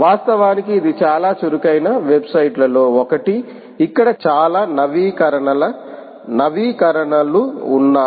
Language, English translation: Telugu, in fact, it is one of the most active websites, ah, which has lot of updates, updates coming up here